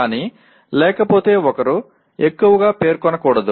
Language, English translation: Telugu, But otherwise, one should not over specify